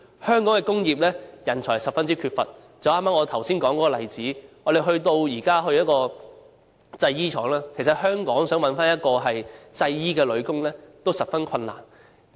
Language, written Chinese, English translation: Cantonese, 香港的工業人才十分缺乏，正如我剛才所引用的例子，我們到訪一間製衣廠，發現其實在香港想找一位製衣女工，都十分困難。, There is a serious shortage of industrial talents in Hong Kong . For example as we observed when visiting the fashion manufacturer mentioned just now it is no longer easy to come by any female garment factory workers